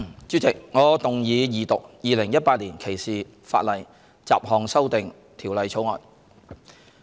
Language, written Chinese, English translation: Cantonese, 主席，我動議二讀《2018年歧視法例條例草案》。, President I move the Second Reading of the Discrimination Legislation Bill 2018 the Bill